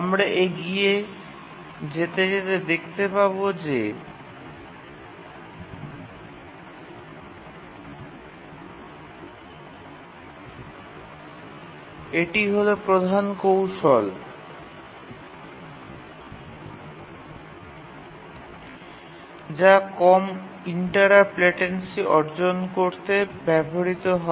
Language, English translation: Bengali, As you will see that this is the main technique that is used to achieve low interrupt latency